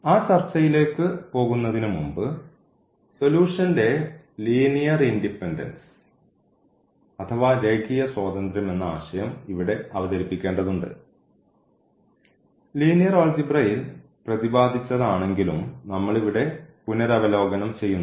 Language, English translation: Malayalam, So, before we go to that discussion we need to also introduce here like linear independence of solution though we have talked about linear dependence in an independence in linear algebra and a similar concept we will just revise again here